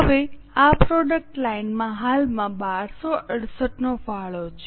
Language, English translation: Gujarati, Now, this product line A currently has a contribution of 1 268